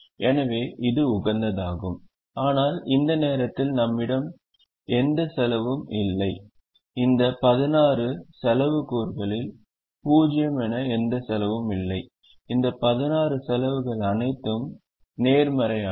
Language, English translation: Tamil, but at the moment we don't have any cost, any of these sixteen cost elements as zero, and all these sixteen costs are positive